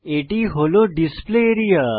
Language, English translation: Bengali, This is the Display area